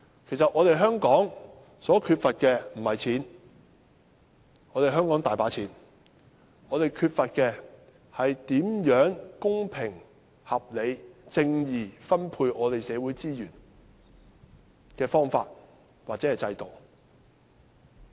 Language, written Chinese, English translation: Cantonese, 其實香港缺乏的並非金錢，香港政府有很多錢，我們缺乏的是公平合理而正義地分配社會資源的方法或制度。, In fact Hong Kong has no lack of money . The Hong Kong Government has plenty of it . What we lack is an approach or system of fair distribution of social resources in a reasonable and righteous manner